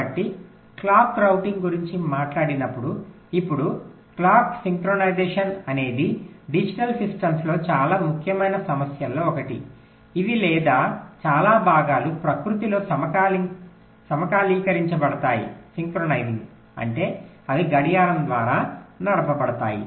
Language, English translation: Telugu, ok, so, talking about clock routing now clock synchronisation is, of course, one of the most important issues in digital systems, which, or most parts, are synchronous in nature, means they are driven by a clock